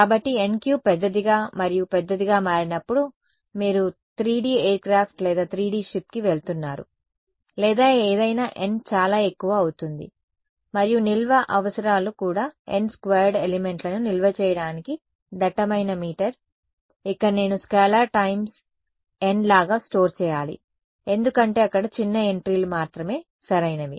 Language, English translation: Telugu, So, as n becomes larger and larger you are going to a 3 D aircraft or 3 D ship or whatever n cube just becomes too much and the storage requirements also dense meter it has to store n squared elements, here I have to store like a scalar times n because only sparse entries are there right